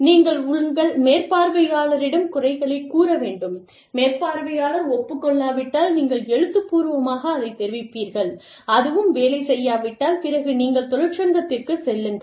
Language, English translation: Tamil, Yes, we all say that, you must go to your supervisor, if the supervisor does not agree, then you give something in writing, if that does not work, then, you go to a union, etcetera